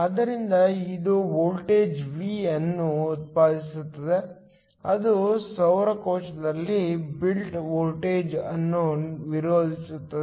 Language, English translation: Kannada, So, this in turn generates a voltage V that opposes in built voltage in the solar cell